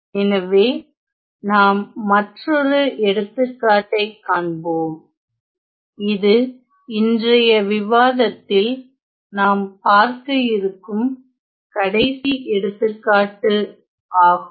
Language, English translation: Tamil, So, then let us now look at one more example, which will be the final example in today’s discussion